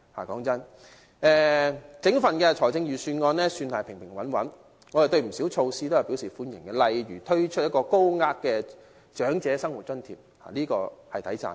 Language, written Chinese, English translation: Cantonese, 老實說，整份預算案算是平平穩穩，我們對不少措施都表示歡迎，例如推出一項高額的長者生活津貼，這點是值得稱讚的。, Frankly speaking this is a moderate budget as a whole and we welcome quite a number of its measures . For instance the introduction of a higher tier of assistance under the Old Age Living Allowance is praiseworthy